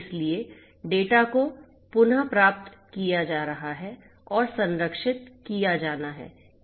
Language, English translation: Hindi, So, the data is being retrieved and has to be protected